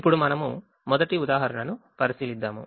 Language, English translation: Telugu, now we look at the first example